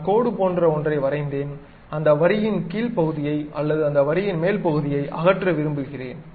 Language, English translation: Tamil, I have drawn something like line; I want to either remove this bottom part of that line or top part of that line